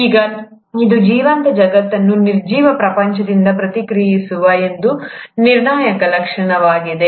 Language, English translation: Kannada, Now this is one critical feature which sets the living world separate from the non living world